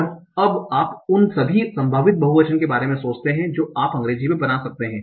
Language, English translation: Hindi, And now you think about all the possible proofs that you can make in English